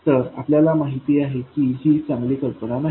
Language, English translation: Marathi, Now we know that that's not a good idea